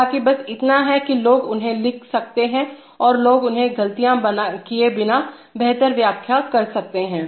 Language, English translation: Hindi, However, just so that people can write them and people can interpret them better without making mistakes